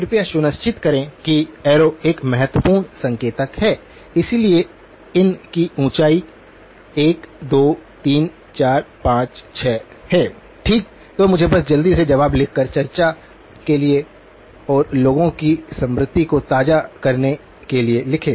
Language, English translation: Hindi, Please make sure that the arrow is a key indicator, so the height of these are 1, 2, 3, 4, 5, 6 okay that is the; so let me just quickly write down the answers just for discussion and sort of refresh people's memory